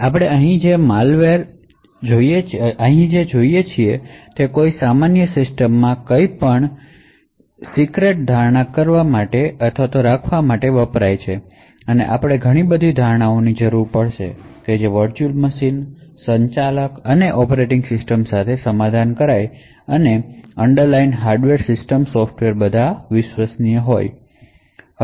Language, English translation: Gujarati, So what we see over here is that in order to assume or keep something secret in a normal system we would require a huge amount of assumptions that all the underlined hardware the system software compromising of the virtual machines, managers and the operating system are all trusted